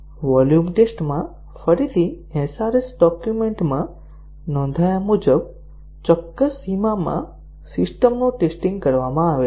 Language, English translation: Gujarati, In volume test, again the system is tested within the specified bounds as recorded in the SRS document